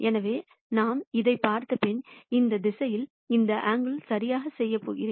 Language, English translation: Tamil, So, supposing we look at this and then say; I am going to do this angle in this direction right